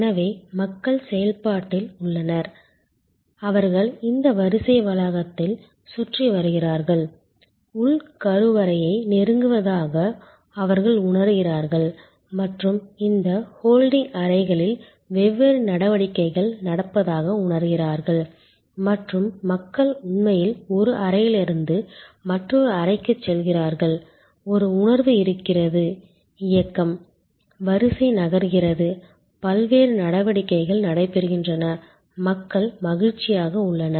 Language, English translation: Tamil, So, people are in the process, they are going around this queue complex, they feel there approaching the inner sanctum and different activities are going on in these holding rooms and people actually go from one room to the other room, there is a sense of movement, the line is moving, the different activities are taking place, people are happier